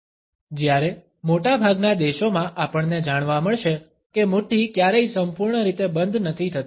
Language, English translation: Gujarati, Whereas in most of the countries we would find that the fist is never totally clenched